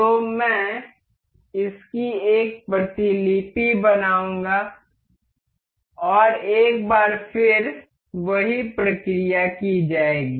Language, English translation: Hindi, So, I will copy make a copy of this and once again the same procedure do